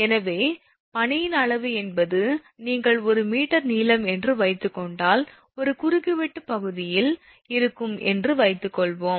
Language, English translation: Tamil, So, volume of the ice means, suppose if you assume 1 meter length then 1 into cross sectional area